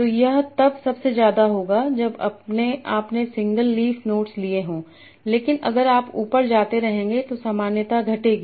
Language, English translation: Hindi, So it will be highest when you are seeing the leaf nodes but if you keep on going up the similarity will decrease